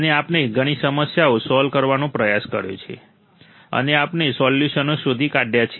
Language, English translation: Gujarati, And we have tried to solve several problems and we have found the solutions